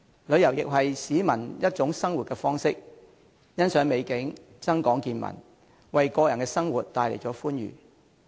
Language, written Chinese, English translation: Cantonese, 旅遊亦是市民的一種生活方式，欣賞美景，增廣見聞，為個人生活帶來歡愉。, Tourism is also a lifestyle which enables people to admire beautiful scenery and broaden their horizons so as to bring happiness to their personal lives